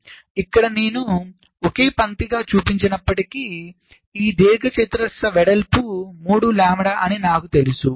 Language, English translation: Telugu, so so here, even if i shown it as a single line, i know that this rectangle width will be three lambda